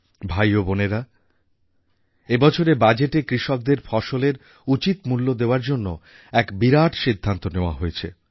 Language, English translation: Bengali, Brothers and sisters, in this year's budget a big decision has been taken to ensure that farmers get a fair price for their produce